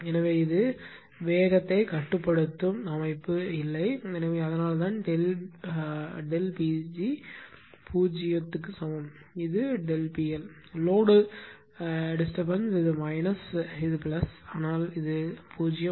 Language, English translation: Tamil, So, it is no speed governing system; so, that is why delta P g is equal to 0, this is delta P L; the load disturbance this is minus this is plus, but it is 0